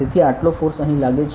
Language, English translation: Gujarati, So, this much force is acting here